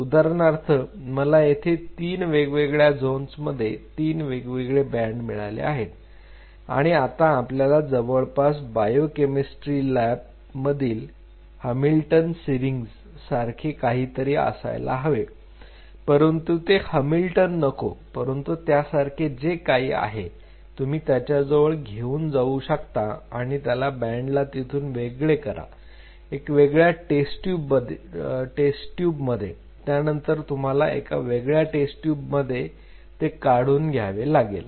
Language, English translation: Marathi, So, for example, I see three bands three different zones now we need something like a very similar to Hamilton syringe which is used in biochemistry labs it is not really Hamilton, but something of that sort where you have to you know bring it close in and you have to pull out that band in a separate test tube similarly then you have to pull this out at a separate test tube to pull this out at a separate test tube